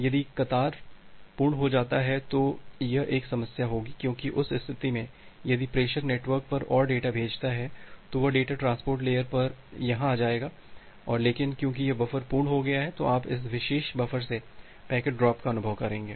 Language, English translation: Hindi, If the queue becomes full, that will be a problem because in that case, if the senders sends more data to the network, then that particular data will come here at the transport layer, but because this buffer has become full, you will experience a packet drop from this particular buffer